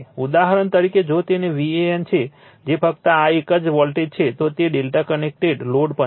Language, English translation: Gujarati, For example, if it is V an that is the voltage across this one only, it is also delta connected load